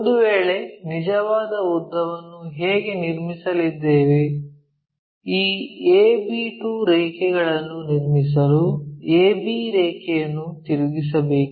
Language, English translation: Kannada, If, that is the case how we are going to construct a true length is use a b, rotate it such that construct b 2 line